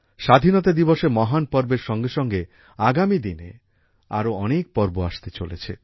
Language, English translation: Bengali, Along with the great festival of Independence Day, many more festivals are lined up in the coming days